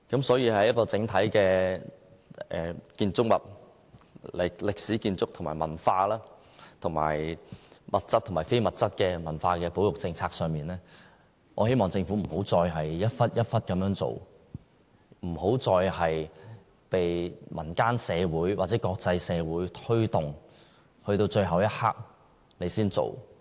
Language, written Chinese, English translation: Cantonese, 所以，在整體歷史建築和文化，以及物質和非物質的文化保育政策上，我希望政府再也不要零碎地處理，再也不要由民間社會或國際社會推動，直至最後一刻才着手處理。, Hence I wish the Government would no longer adopt a piecemeal approach in its overall policy of the conservation of historic buildings and culture as well as the conservation of tangible and intangible culture . The Government should get rid of its last - minute action practice so that it could not act only after the local community or the international community has strongly pressed for it